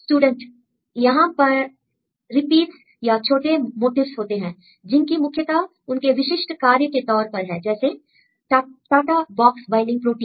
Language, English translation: Hindi, Here, what sort repeats or some cases there are small motifs which are important for any specific functions like TATA box binding protein